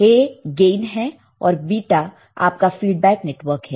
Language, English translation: Hindi, What is A, is your gain; and beta is your feedback network right